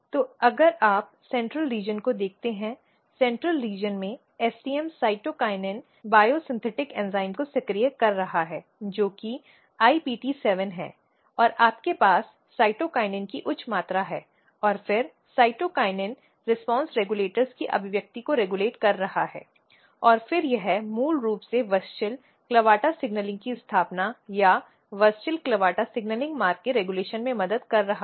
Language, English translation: Hindi, So, if you look the central region in central region STM is activating cytokinin biosynthetic enzyme which is IPT7 and then you have high amount of cytokinin and then cytokinin is regulating expression of cytokinin response regulators and then it is basically helping in establishing WUSCHEL CLAVATA signaling or regulating WUSCHEL CLAVATA signaling pathway